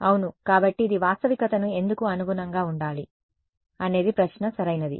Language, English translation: Telugu, Yeah, so, why it should this correspond to reality is the question right